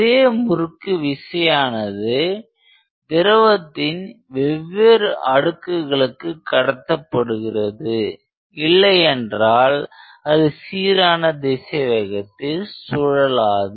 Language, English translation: Tamil, And the same torque is transmitted across different fluid layers otherwise it will not be able to rotate with a uniform velocity